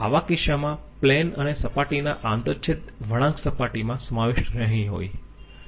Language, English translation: Gujarati, In such a case, the intersection curve of plane interface will not be contained in the plain